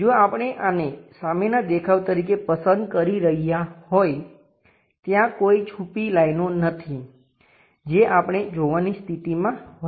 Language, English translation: Gujarati, If we are picking this one as the front view; there are no hidden lines we will be in a position to see